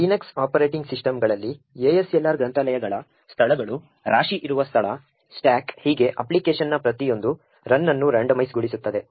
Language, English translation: Kannada, In the Linux operating systems ASLR would randomize the locations of libraries, the location of the heap, the stack and so on with each run of the application